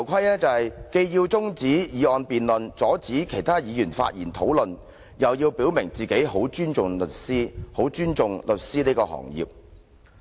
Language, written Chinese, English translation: Cantonese, 他既要中止有關的議案辯論，阻止其他議員發言討論，又要表明自己十分尊重律師和律師行業。, While he wants the motion debate to be adjourned to stop other Members from speaking he also wants to state that he highly respects lawyers and the legal profession